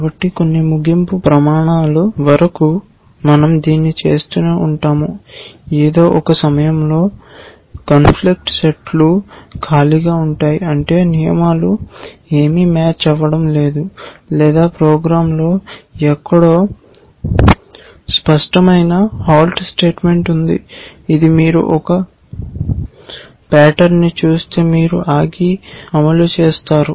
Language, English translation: Telugu, So, we keep doing this till some termination criteria which could be that either the conflict sets becomes empty at some point, which means no rules are matching all we have an explicit halt statement somewhere in the program which says if you see a certain pattern that then you halt and execute